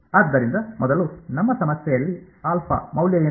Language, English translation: Kannada, So, first of all in our problem what is the value of alpha